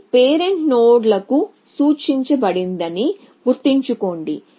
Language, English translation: Telugu, So, remember this are pointed to parent nodes